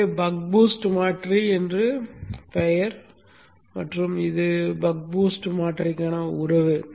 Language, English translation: Tamil, 5 hence the name buck boost converter and this is the relationship for the buck boost converter